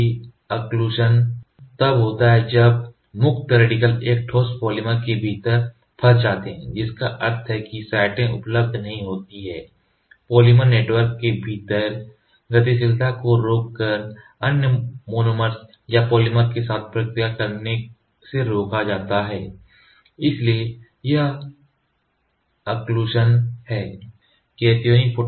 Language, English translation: Hindi, Occlusion occurs when free radicals becomes ‘trapped’ within a solidified polymer meaning that the radical sites remain unavailable, but are prevented from reacting with the other monomer or polymer by limiting mobility within the polymer network so, this is occlusion